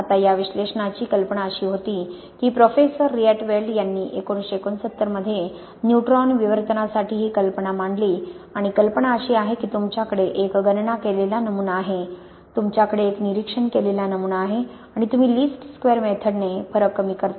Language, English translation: Marathi, Now the idea for this analysis was, came, Mister, Professor Rietveld came up with this in nineteen sixty nine for neutron diffraction and the idea is you have a calculated pattern, you have an observed pattern and you minimize the difference by least squares method